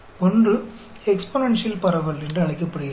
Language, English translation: Tamil, The one is called the exponential distribution